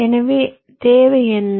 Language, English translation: Tamil, so what was the requirement